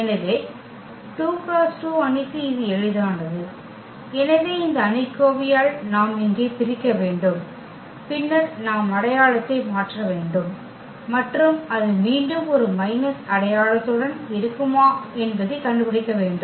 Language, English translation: Tamil, So, for 2 by 2 matrix it is simple, so we have to divide here by this determinant and then we need to change the sign and determined will be again with minus sign